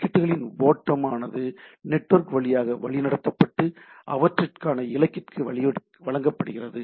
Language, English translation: Tamil, The stream of packets are routed through the network and are delivered to the intended destination, right